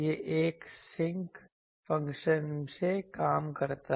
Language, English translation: Hindi, This is from a sinc function